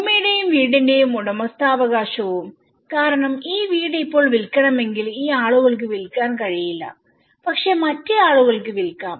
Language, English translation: Malayalam, And the ownership part of the land and the house because if they want to sell this house now these people cannot sell but these people can sell